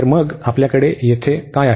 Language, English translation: Marathi, So, now what do we have here